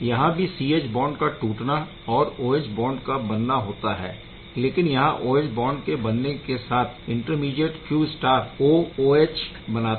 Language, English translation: Hindi, So, C H bond is broken OH bond is formed and then OH is also simultaneously binding with the CH3 to give you overall CH3, OH right